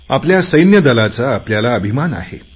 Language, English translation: Marathi, We are proud of our army